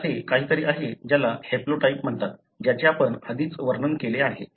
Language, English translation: Marathi, So, this is something that is called as haplotype, that we described already